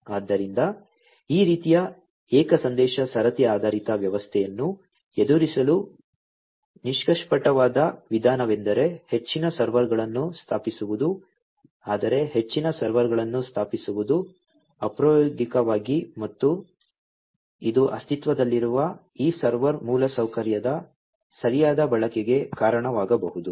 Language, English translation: Kannada, So, a naive approach to deal with this kind of single message queue based system is to install more servers, but installing more servers is impractical, and it might also lead to not proper utilization of this existing server infrastructure